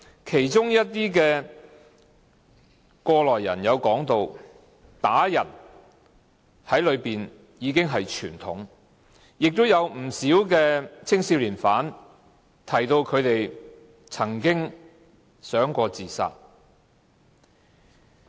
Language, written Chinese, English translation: Cantonese, 其中一些過來人說，在懲教所內被人打已經是傳統，亦有不少青少年犯提到他們曾經想過自殺。, Some of the former young prisoners said that it was a norm for inmates to be beaten up inside the correctional facilities and many of them mentioned that they had thought of committing suicide